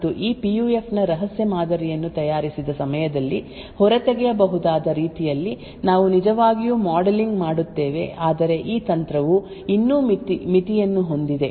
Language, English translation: Kannada, Now this works quite well, especially on PUF switch and we actually modelling such a way where the secret model of this PUF can be extracted at the manufactured time but nevertheless this technique still has a limitation